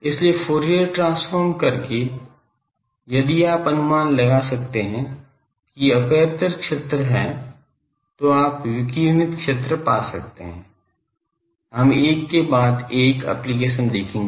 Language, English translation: Hindi, So, by Fourier transform then if you can guess the, a think where aperture field, then you can find the radiated field, we will see one by one application of that